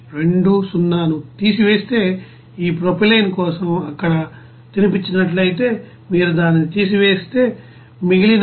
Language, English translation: Telugu, 20 which is a fed there for this propylene if you subtract it then you will get the remaining amount of 9